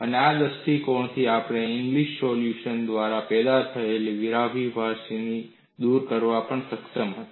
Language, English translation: Gujarati, And from this perspective, we were also able to dispel the paradox generated by Ingli solution